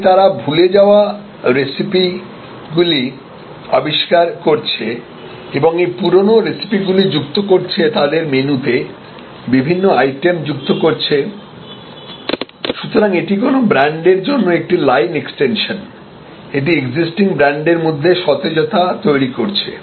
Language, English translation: Bengali, But, they are creating different adding different items to their menu discovering forgotten recipes and adding it, so this is a line extension activity for a brand this is creating the freshness evolution of the existing brand etc